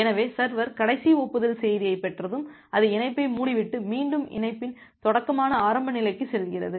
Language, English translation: Tamil, So, once it server gets the last acknowledgement message, it close the connection and again it goes back to the initial state that is the starting of the connection